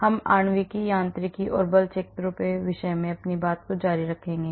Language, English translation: Hindi, we will continue on the topic of molecular mechanics and force fields